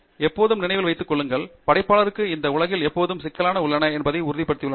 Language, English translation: Tamil, Always remember, the creator has enough made sure that there are enough complexities in this world